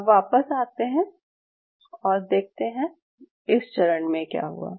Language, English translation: Hindi, Now coming back, what happened during this phase